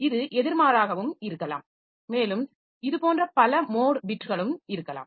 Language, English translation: Tamil, So, this is maybe the reverse also and there can be multiple such mode bits also